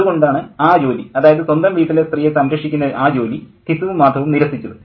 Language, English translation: Malayalam, So that job is rejected, that job of protecting the woman of the household has been rejected by Gisu and mother